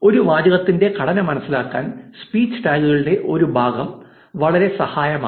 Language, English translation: Malayalam, Part of speech tags can be very helpful in understanding the structure of a sentence